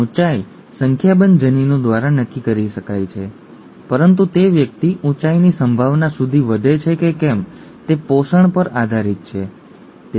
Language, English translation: Gujarati, The height could be determined by a number of genes but whether the person grows up to the height potential, depends on the nutrition, right